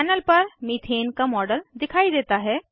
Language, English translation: Hindi, A model of methane appears on the panel